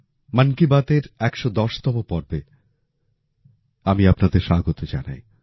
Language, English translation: Bengali, Welcome to the 110th episode of 'Mann Ki Baat'